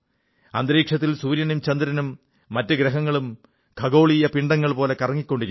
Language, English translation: Malayalam, Sun, moon and other planets and celestial bodies are orbiting in space